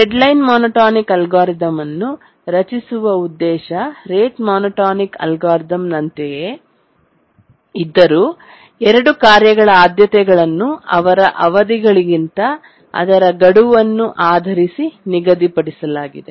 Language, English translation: Kannada, It's very similar to the rate monotonic algorithm, excepting that the priorities to tasks are assigned based on their deadlines rather than their periods